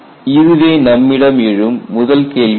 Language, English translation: Tamil, So, this is the first question